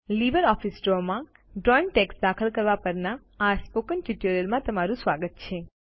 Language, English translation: Gujarati, Welcome to the Spoken Tutorial on Inserting Text in Drawings in LibreOffice Draw